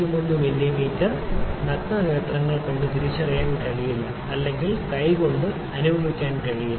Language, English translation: Malayalam, 01 mm is not it is cannot identified by naked eye or cannot be just felt by hand as well